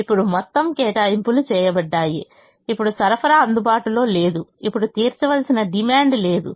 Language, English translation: Telugu, now there is no supply that is available, there is no demand that now has to be met